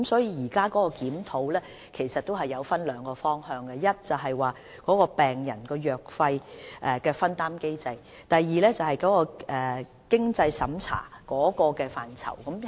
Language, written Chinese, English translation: Cantonese, 因此，現時的檢討分為兩個方向，第一，病人藥費的分擔機制；第二，經濟審查的準則。, Hence the present review is conducted in two general directions first the patients co - payment mechanism; and two the criteria of the means test